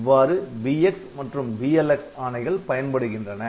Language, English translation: Tamil, So, this BX and BLX these instructions can be used